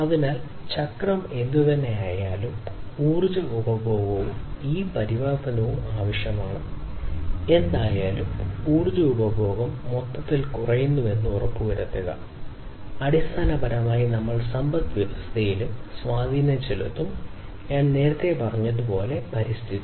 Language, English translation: Malayalam, So, what is required is whatever be the cycle, however, the energy consumption and this transformation takes place, whatever be it what is important is to ensure that there is reduced energy consumption overall and that basically we will also have an impact on the economy and the environment as I said earlier